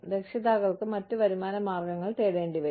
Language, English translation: Malayalam, Parents will have to search for, other sources of income